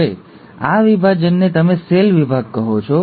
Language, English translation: Gujarati, Now this division is what you call as the cell division